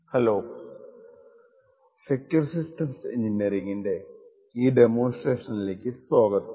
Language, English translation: Malayalam, Hello and welcome to this demonstration in the course for Secure Systems Engineering